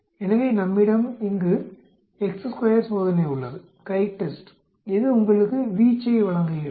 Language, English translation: Tamil, So, we have the chi square test here, CHITEST, it gives you the range